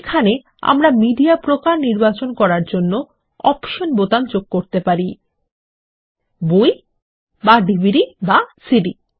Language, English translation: Bengali, Here we could add option buttons to choose the type of media, that is: books, or DVDs or CDs